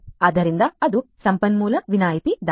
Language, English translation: Kannada, So, that is the resource exemption attack